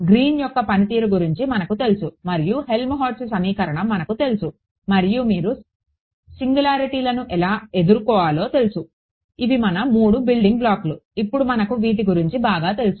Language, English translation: Telugu, We knew the Helmholtz equation we knew Green's function right and when you how to deal with singularities go over the three building blocks which we have buy now very comfortable with ok